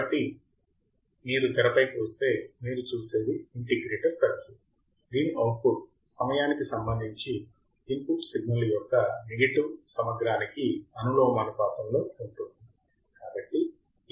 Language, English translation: Telugu, So, if you come to the screen what you see is an integrator circuit whose output is proportional to the negative integral of the input signal with respect to time